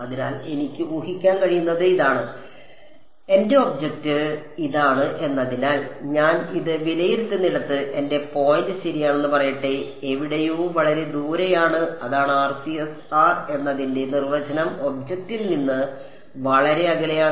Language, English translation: Malayalam, So, and this what I can assume is that since my object this is let us say my point r prime right that is where I am evaluating this, is somewhere which is far away right that was the definition of RCS r trending to be very away from the object and my object is something over here ok